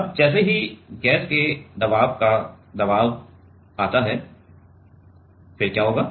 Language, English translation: Hindi, Now, as the pressure of the gas pressure come; then what it will happen